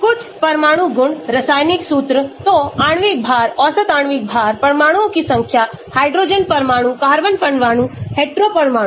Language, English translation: Hindi, Some of atomic properties, chemical formula; so molecular weight, average molecular weight, number of atoms, hydrogen atoms, carbon atoms, hetero atoms